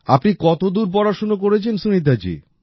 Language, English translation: Bengali, What has your education been Sunita ji